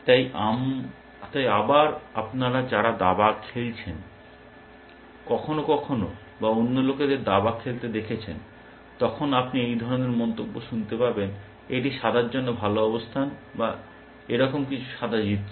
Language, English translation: Bengali, So, again those of you might have played chess, sometimes or watch other people play chess, then you can hear comments like, this is the good position for white or something like that or white is winning